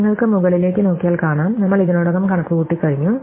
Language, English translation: Malayalam, So, that you can look at up and see we already computed it